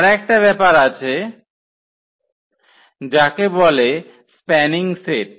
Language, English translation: Bengali, And there is another one this is called a spanning set